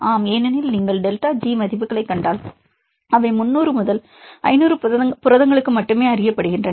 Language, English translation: Tamil, Yes because if you see the delta G values; they are known only for 300 to 500 proteins, but we have the structure how many structures are known at the moment